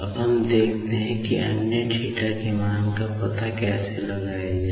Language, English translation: Hindi, Now, let us see how to find out the other theta values